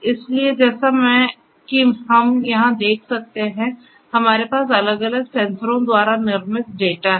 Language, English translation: Hindi, So, as we can see here; we have the raw data that are generated by the different sensors